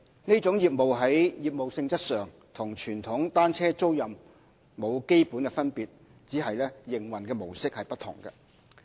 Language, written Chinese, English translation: Cantonese, 其在業務性質上與傳統單車租賃沒有基本分別，只是營運模式不同。, There is no fundamental difference in the nature of this business to that of conventional bicycle rental businesses only that this operator adopts a different mode of operation